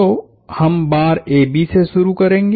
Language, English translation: Hindi, So, we will start with the bar AB